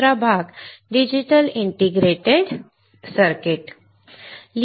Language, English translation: Marathi, Second part digital integrated circuits